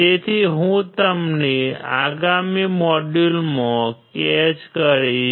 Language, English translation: Gujarati, So, I will catch you in the next module